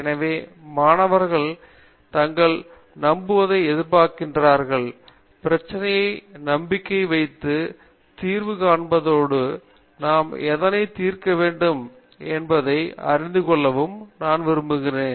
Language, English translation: Tamil, So, I expects students to believe in themselves, believe in the problem and believe in the solution and know what we are going to solve